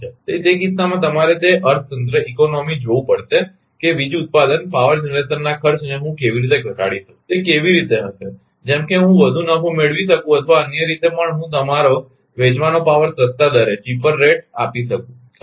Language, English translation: Gujarati, So, in that case you have to see that economy that what will be ah ah how way how how can I can minimise the cost of power generation, such that I can make more profit, or i in other way also I can ah your sell power at the cheaper rate right